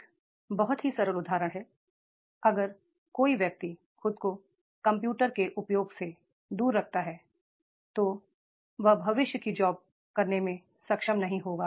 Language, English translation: Hindi, If the person keeps himself away from the use of the computer, he will not be able to perform the future jobs